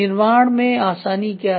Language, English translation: Hindi, What is the manufacture ease